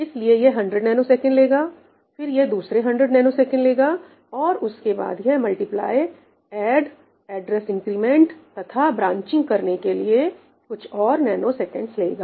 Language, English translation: Hindi, So, this is going to take 100 ns, this is going to take another 100 ns, and then a few mores nanoseconds for the multiply, add and some address increments and branching and so on